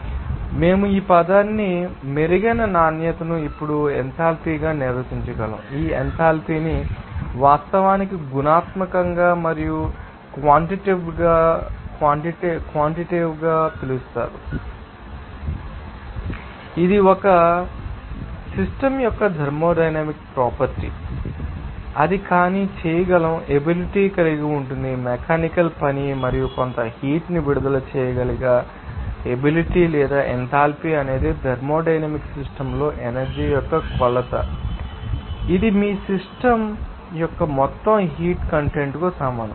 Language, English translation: Telugu, They are, we can define this term and an improved quality as an enthalpy now, this enthalpy can be actually known as qualitatively and also quantitatively also qualitatively, we can say that it is a thermodynamic property of a system that will be capable to do non mechanical work and capable to release some heat or you can say that the enthalpy is a measurement of energy in the thermodynamic system, which is equivalent to the total heat content of your system